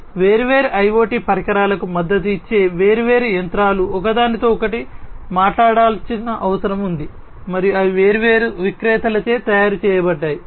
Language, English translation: Telugu, So, different machines supporting different IoT devices etc they need to talk to each other all right and they have been made by different vendors